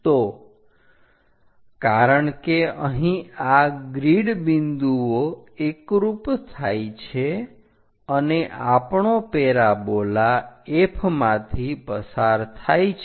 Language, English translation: Gujarati, So, here because these are grid points are coinciding, and our parabola pass through F